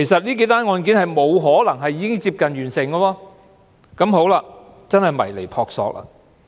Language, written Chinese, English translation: Cantonese, 因此，這些案件根本沒有可能已接近完成，所以絕對是撲朔迷離。, Therefore such cases could in no way be near completion . The situation was definitely puzzling